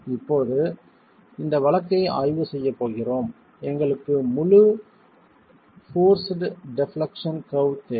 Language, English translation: Tamil, Now, we are going to be examining this case, the force defleck we need the entire force deflection curve